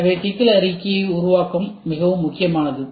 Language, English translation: Tamil, So, problem statement forming is very very important